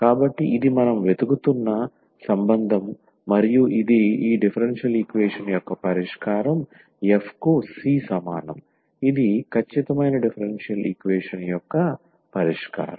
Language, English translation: Telugu, So, that is the relation we are looking for and this is the solution of this differential equation f is equal to c, this is the solution of this exact differential equation